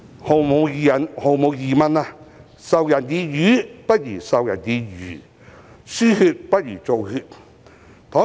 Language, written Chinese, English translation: Cantonese, 毫無疑問，"授人以魚，不如授人以漁"、"輸血不如造血"。, Undoubtedly as the saying goes it is better to teach someone how to fish than to feed him with a fish and blood creation is better than blood transfusion